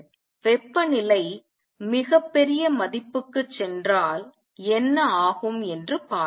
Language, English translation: Tamil, Let us see what happens if the temperature goes to a very large value